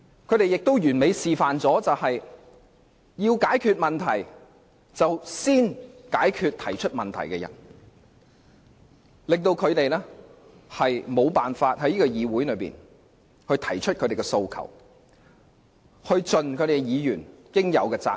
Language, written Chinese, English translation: Cantonese, 他們完美示範了一件事：要解決問題，便先要解決提出問題的議員，令他們無法在議會內提出訴求或盡議員應盡的責任。, They have perfectly demonstrated the idea that to solve problems first deal with those Members who raised the problems . Pro - establishment Members thus take actions to stop opposition Members from voicing any demands in the Council or undertaking the responsibilities of Members